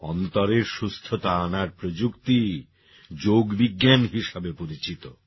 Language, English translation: Bengali, The technologies of inner wellbeing are what we call as the yogik sciences